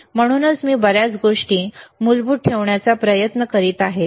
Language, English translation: Marathi, That is why I am trying to keep a lot of things which are basic